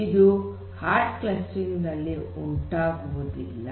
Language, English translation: Kannada, So, you do not have hard clustering